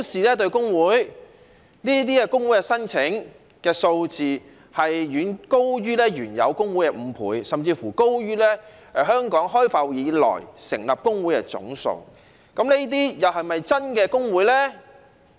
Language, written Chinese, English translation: Cantonese, 這些工會的申請數字，遠高於原有工會的5倍，甚至高於香港開埠以來成立的工會總數，這些又是否真的工會呢？, The number of such applications is far more than five times the number of existing trade unions and even higher than the total number of trade unions established since the inception of Hong Kong